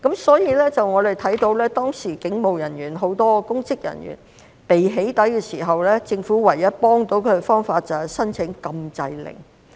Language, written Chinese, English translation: Cantonese, 所以，我們看到當時警務人員、很多公職人員被"起底"的時候，政府唯一可以幫助他們的方法就是申請禁制令。, Therefore as we can see when police officers and many public officers were doxxed the only way the Government could help them was to apply for an injunction order